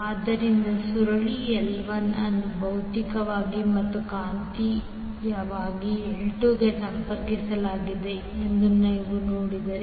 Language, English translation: Kannada, So if you see that coil L1 is connected to L2 physically as well as magnetically